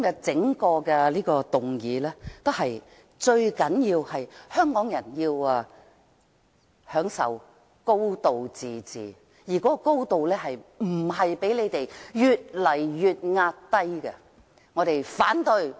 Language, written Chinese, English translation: Cantonese, 這項議案的重點是，香港人要享受"高度自治"，而那"高度"不能夠不斷被壓低。, The main point of this motion is that Hong Kong people would like to enjoy a high degree of autonomy and this high degree cannot be continuously suppressed